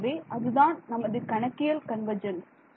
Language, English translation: Tamil, So, that is our numerical convergence right